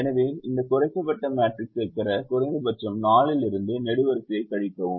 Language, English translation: Tamil, so subtract the column minimum from the four to get this reduced matrix